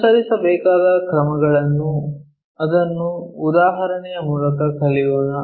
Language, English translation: Kannada, Steps to be followed, let us pick it through an example